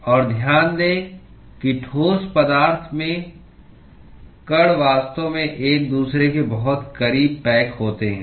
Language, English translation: Hindi, And note that in solids, the molecules are actually packed very close to each other